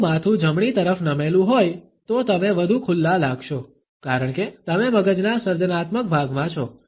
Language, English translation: Gujarati, If the head is tilted to the right, you will feel more open, as you are existing the creative part of the brain